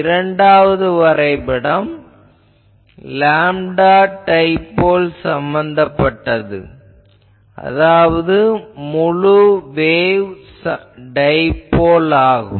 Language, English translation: Tamil, The second graph is for a lambda dipole that means full wave dipole